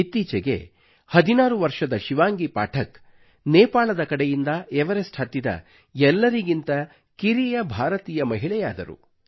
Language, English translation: Kannada, Just a while ago, 16 year old Shivangi Pathak became the youngest Indian woman to scale Everest from the Nepal side